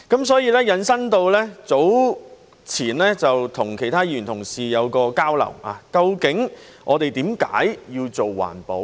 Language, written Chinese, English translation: Cantonese, 所以，我們早前曾與其他議員同事進行交流，究竟我們為何要做環保？, In this connection some time ago we had some exchanges with other Members . Why should we work for environmental protection?